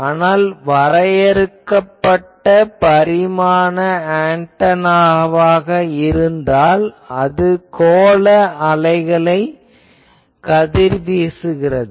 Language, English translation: Tamil, But if I have a finite dimension antenna, then that radiates spherical waves